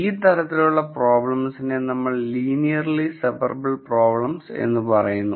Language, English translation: Malayalam, So, these are types of problems which are called linearly separable problems